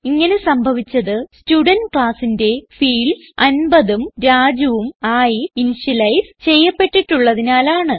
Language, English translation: Malayalam, This is because we had explicitly initialized the fields of the Student class to 50 and Raju